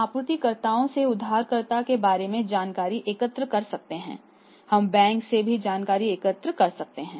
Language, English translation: Hindi, We can collect information from the suppliers also about the borrower; we can collect the information from the bank also